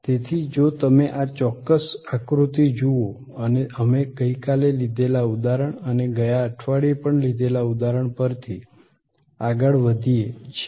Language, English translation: Gujarati, So, if you look at this particular diagram and we are continuing from the example that we had taken yesterday and the example we took last week as well